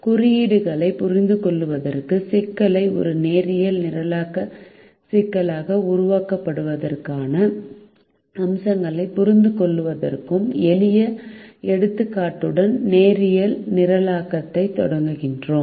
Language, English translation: Tamil, we start linear programming with the simple example to understand the notation and also to understand the aspects of formulating a problem into a linear programming problem